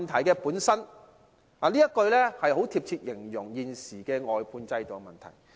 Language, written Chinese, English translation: Cantonese, 這句說話很貼切地形容現時的外判制度問題。, This quote is an apt description of the existing problem with the outsourcing system